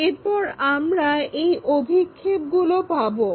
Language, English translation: Bengali, Then, we will we can have these projections